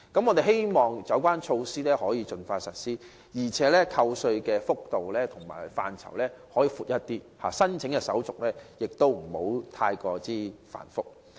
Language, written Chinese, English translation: Cantonese, 我們希望有關措施能盡快實施，而扣稅幅度及範疇則可稍為加大，申請手續亦不宜過於繁複。, We hope that the measure can be expeditiously implemented . While tax reductions can be slightly increased and extended the application procedures should be not too complicated